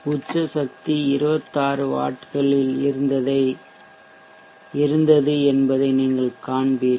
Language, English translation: Tamil, You will see that the peak power was at 26 vats